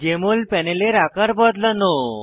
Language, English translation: Bengali, * Resize the Jmol panel